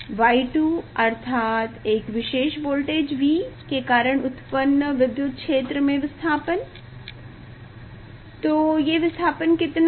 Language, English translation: Hindi, Y 2; that means, this displacement after applying electric field for a particular voltage V, so what is the displacement